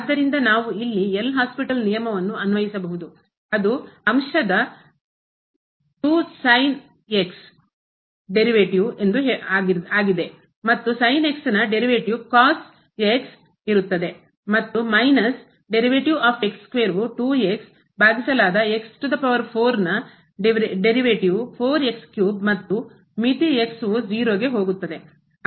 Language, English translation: Kannada, So, we can apply the L’Hospital rule here which says that the derivative of the numerator will be 2 time and the derivative of will be and minus the derivative of square will be divided by the derivative of power which is four power 3 and the limit goes to 0